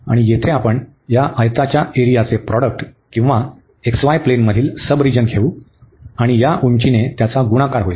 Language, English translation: Marathi, And there we take this product of the area of this rectangle or the sub region in the x, y plane and multiplied by this height